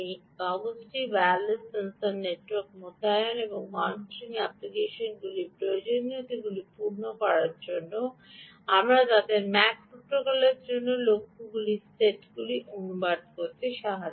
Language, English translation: Bengali, to meet the requirements of wireless sensor network deployments and monitoring applications, we translate them to a set of goals for mac protocol